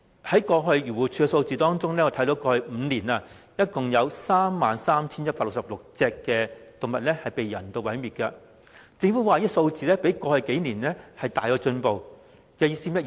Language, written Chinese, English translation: Cantonese, 根據漁護署的數字，過去5年共有 33,166 隻動物被人道毀滅，政府指這個數字比過去數年大有進步，這是甚麼意思？, According to the statistics provided by AFCD a total of 33 166 animals were euthanized in the past five years . The Government argues that the situation has now been greatly improved . What does it mean by that?